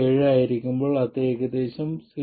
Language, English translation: Malayalam, 7 that is about 0